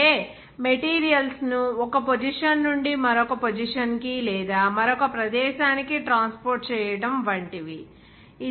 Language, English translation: Telugu, In that case, like transportation of the materials from one position to another position or another one location to another location